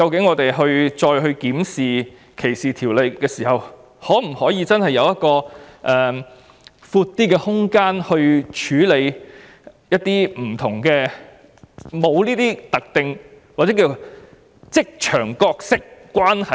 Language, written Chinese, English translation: Cantonese, 因此，日後再次檢視歧視法例時，我們應該研究有否較寬闊的空間，處理這些沒有特定關係或職場角色的情況。, Therefore when the discrimination legislation is examined again in the future we should study whether a wider scope can be stipulated to deal with situations where there is no specific relationship or workplace role